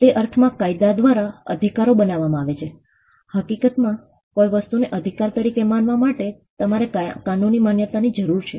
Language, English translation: Gujarati, In that sense rights are created by the law, in fact, you need a legal recognition for something to be regarded as a right